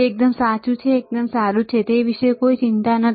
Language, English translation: Gujarati, That is absolutely correct, that absolutely fine no worries about that